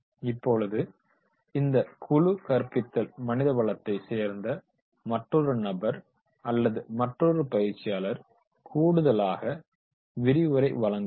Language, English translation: Tamil, Now, in this team teaching, the another person who is from the HR, another trainer who is from the HR, he will supplement